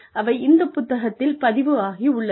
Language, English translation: Tamil, That have been recorded in this book